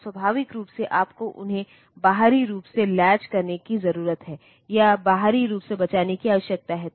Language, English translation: Hindi, And naturally you need to latch them externally or save them externally